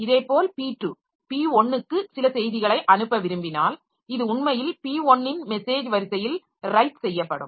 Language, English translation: Tamil, Similarly, P2, if it wants to send some message to P1, so it will actually be written onto the message queue of P1